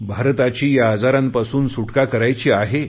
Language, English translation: Marathi, We have to eradicate these diseases from India